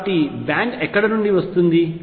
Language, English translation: Telugu, So, where is the band coming in from